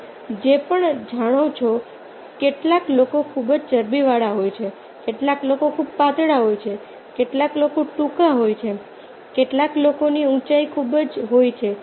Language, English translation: Gujarati, this is in our hands, whatever you know, some people are very fatty, some people are very thin, some people short, some people height is very, height is quite high